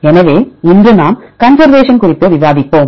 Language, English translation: Tamil, So, today we will discuss upon conservation